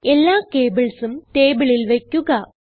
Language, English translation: Malayalam, Place all the cables on the table, as shown